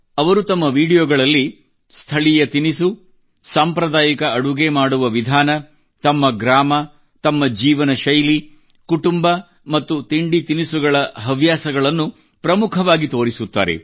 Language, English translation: Kannada, In his videos he shows prominently the local dishes, traditional ways of cooking, his village, his lifestyle, family and food habits